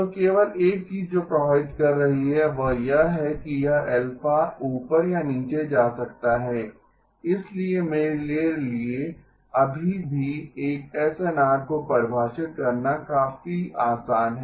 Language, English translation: Hindi, So the only thing that is affecting is that this alpha may go up or down, so it is still easy enough for me to define a SNR